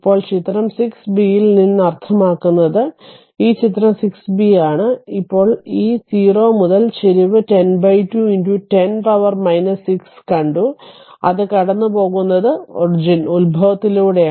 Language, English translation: Malayalam, Now, from figure 6 b that means, this is figure 6 b, this is figure 6 b, now this your what you call that 0 to your slope we have seen that 10 upon 2 into 10 to the power minus 6 and that and this is passing through the origin